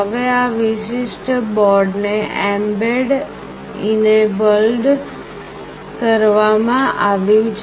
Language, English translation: Gujarati, Now this particular board is mbed enabled